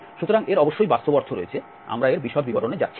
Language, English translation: Bengali, So it has physical meaning of course, we are not going to the details of that